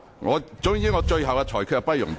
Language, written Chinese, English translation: Cantonese, 我的最終裁決不容辯論。, My final ruling is not subject to debate